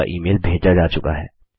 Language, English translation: Hindi, Click Send.Your email has been sent